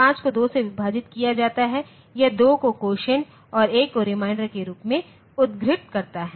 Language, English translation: Hindi, 5 divided by 2, this gives 2 as quotient 1 as reminder